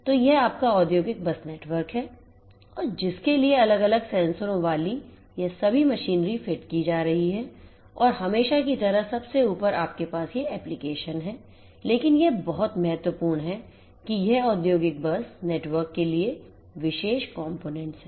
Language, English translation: Hindi, So, this is your industrial bus network and to which all this different machinery with different sensors etcetera are going to be fitted and as usual on top you have these applications, but this is very important these are the different components specific to industrial bus network for the control plane in SDIIoT